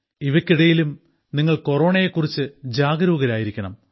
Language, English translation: Malayalam, In the midst of all this, you also have to be alert of Corona